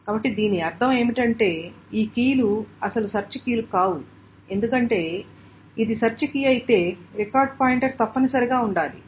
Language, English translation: Telugu, So, what does this mean is that these keys cannot be actual search keys because if it is an actual search key, the record pointer must be present